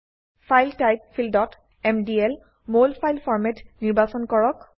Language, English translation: Assamese, In the File type field, select MDL Molfile Format